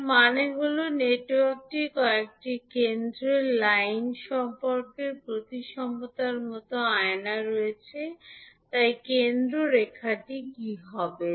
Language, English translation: Bengali, It means that, the network has mirror like symmetry about some center line, so, what would be the center line